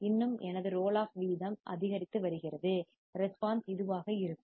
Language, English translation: Tamil, Still my roll off rate is increasing, response will be this